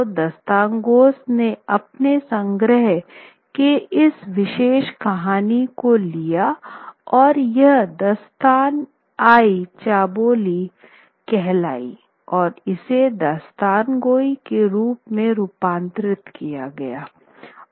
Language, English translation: Hindi, So the Dashtangos, they also take on these one particular story from his collection and that is the Dashtana Chobuli and converts it within the Dasthan Gai form